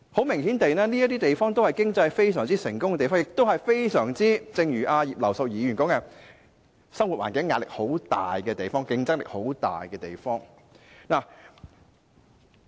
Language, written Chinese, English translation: Cantonese, 明顯地，這些均是經濟非常成功的地方，亦正如葉劉淑儀議員所說，這些亦是生活環境壓力和競爭很大的地方。, Obviously these are places with a successful economy and as Mrs Regina IP said these are also places with a stressful living environment and fierce competition